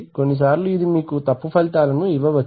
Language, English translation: Telugu, Sometimes it may give you wrong results sometimes in may not